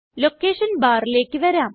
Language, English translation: Malayalam, Coming down to the Location Bar